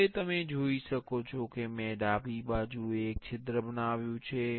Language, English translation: Gujarati, Now, you can see I have created a hole on the left side